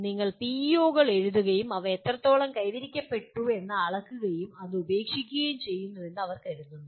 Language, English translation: Malayalam, They say you write PEOs and measure to what extent they are attained and leave it at that